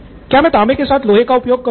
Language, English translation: Hindi, Do I use iron with copper or do I not